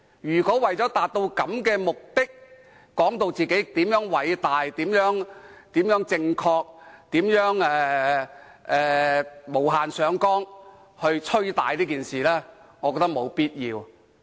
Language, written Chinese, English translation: Cantonese, 如果為了這種目的，反對派議員便把自己說得如何偉大、如何正確，並無限上綱地"吹大"這件事，我認為沒有必要。, In order to achieve this objective opposition Members have to boast how great and righteous they are and they have blown up the incident inappropriately